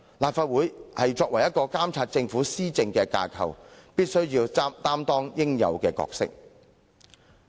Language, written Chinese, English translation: Cantonese, 立法會作為監察政府施政的架構，必須擔當應有的角色。, The Legislative Council being the institution to monitor the Governments governance must take up this responsibility and performed its due role